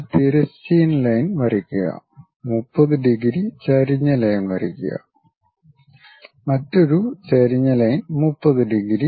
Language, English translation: Malayalam, Draw a horizontal line draw an incline line 30 degrees, another incline line 30 degrees